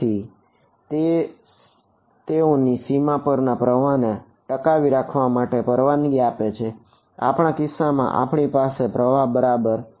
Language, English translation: Gujarati, So, that allows them to conserve flows across a boundary in our case we do not have a flow alright